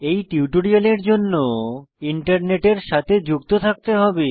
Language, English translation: Bengali, For this tutorial, You must be connected to the Internet